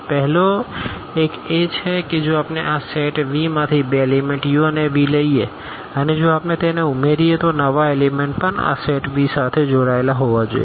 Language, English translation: Gujarati, The first one is that if we take two elements u and v from this set V and if we add them the new elements should also belong to this set V